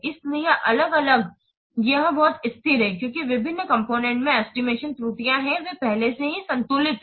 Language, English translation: Hindi, So different, it is very much stable because the estimation errors in the various components, they are already balanced